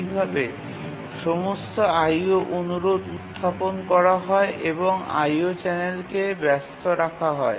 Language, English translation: Bengali, O requests are raised and the IO channel is kept busy